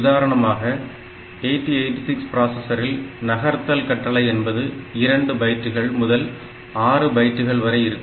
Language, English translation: Tamil, For example, if you look into say 8086 processor you will find that the move instruction itself has got sizes from 2 bytes to 6 bytes